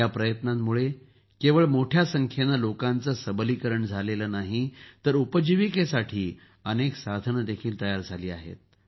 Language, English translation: Marathi, This effort has not only empowered a large number of people, but has also created many means of livelihood